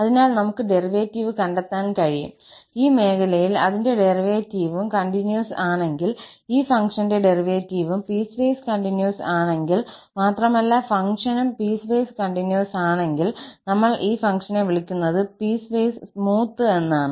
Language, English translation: Malayalam, So, we can find the derivative, if its derivative is also continuous in this region where it is continuous, if it happens that the derivative of this function is also piecewise continuous and the function is piecewise continuous as well, then we call that the function is piecewise smooth